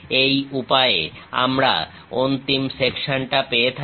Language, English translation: Bengali, This is the way we get resulting section